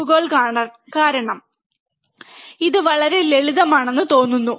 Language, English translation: Malayalam, Because of because of probes, it looks complicated it is very simple